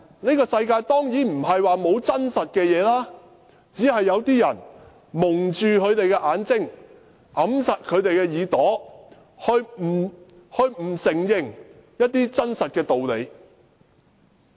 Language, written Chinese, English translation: Cantonese, 這個世界當然並非沒有實情，只是有些人蒙着眼睛，掩着耳朵，不承認一些真實的道理。, There is certainly truth in this world just that some people choose not to see or hear it and refuse to admit it